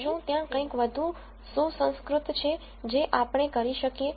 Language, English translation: Gujarati, So, is there something more sophisticated we can do